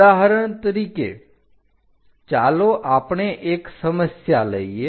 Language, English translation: Gujarati, For example, let us pick a problem